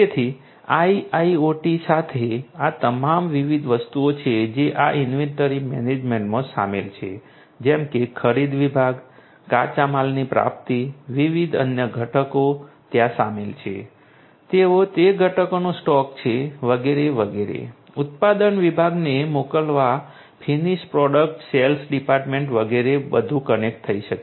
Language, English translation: Gujarati, So, with IIoT all these different things the components that are involved in this inventory management such as, this you know the purchasing department, the raw materials procurement, different other components getting involved there you know they are stocking of those components etcetera, sending to the production department, finished product sales department etcetera everything can become connected